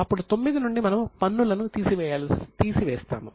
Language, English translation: Telugu, Now from 9 we will reduce the taxes